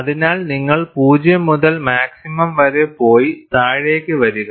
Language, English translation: Malayalam, So, you go from 0 to maximum, and then come down